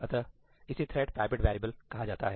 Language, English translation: Hindi, this is something called thread private variables